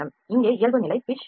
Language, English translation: Tamil, This is the minimum pitch it is 0